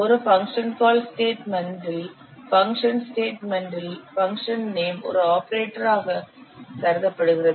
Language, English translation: Tamil, A function name in a function call statement is considered as an operator